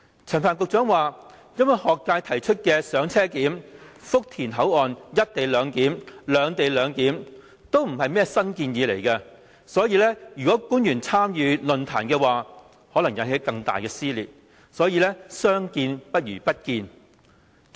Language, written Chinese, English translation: Cantonese, 陳帆局長表示，因為學界提議的"車上檢"、福田口岸"一地兩檢"、"兩地兩檢"也不是甚麼新建議，如果官員參與論壇，可能引起更大撕裂，所以相見不如不見。, Secretary Frank CHAN remarked that he would rather not attend the forum because the students proposals of on - board clearance co - location clearance at Futian and separate - location clearance were nothing new and the attendance of government officials would only cause greater social division